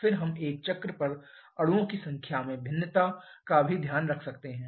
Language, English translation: Hindi, Then we can also take care of the variation in the number of molecules over a cycle